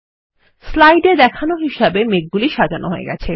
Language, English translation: Bengali, The clouds are arranged as shown in the slide